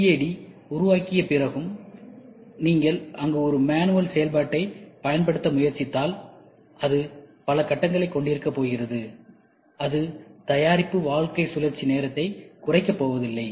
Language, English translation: Tamil, Even may after making CAD, if you try to use a manual operation there, then also it is going to have number of stages, which is not going to reduce the product life cycle time